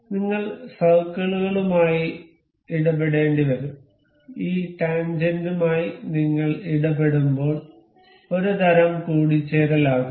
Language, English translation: Malayalam, We will have to deal with circles, when we are dealing with this tangent may kind of mate